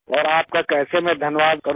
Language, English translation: Hindi, And how can I thank you